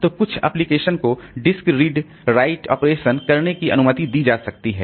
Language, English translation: Hindi, So, some applications, so it may be allowed to do direct disk read write operations